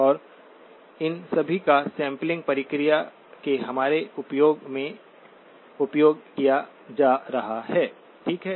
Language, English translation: Hindi, And all of these are going to be exploited in our use of the sampling process, okay